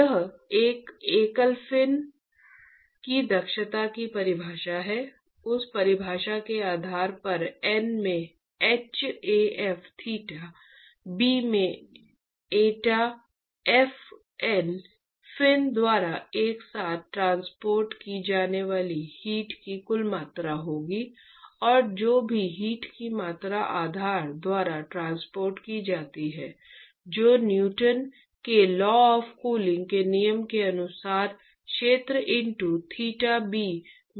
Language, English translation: Hindi, That is the definition of the efficiency of a single fin, based on that definition N into hAf theta b into eta f will be the total amount of heat that is transported by N fins together plus whatever is the amount of heat that is transported by base which is given by h into area intro theta b according to Newton’s law of cooling